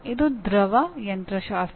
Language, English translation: Kannada, This is fluid mechanics